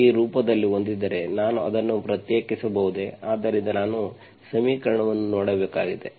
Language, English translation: Kannada, If I have in this form, can I make it separable, so I just have to see the equation